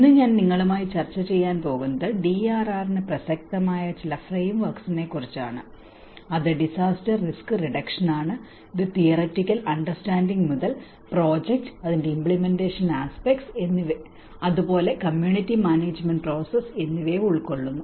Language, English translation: Malayalam, Today I am going to discuss with you about a few of the frameworks which are relevant to the DRR which is disaster risk reduction, and it covers both from a theoretical understanding to the project and the implementation aspects and also with the kind of community management process as well